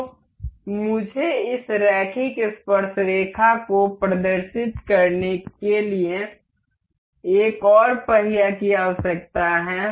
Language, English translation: Hindi, So, I need another wheel to demonstrate this linear coupler